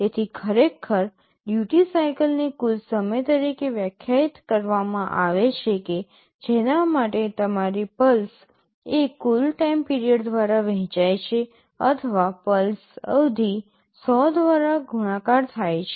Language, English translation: Gujarati, So, actually duty cycle is defined as the total time for which your pulse is on divided by the total time period or the pulse period multiplied by 100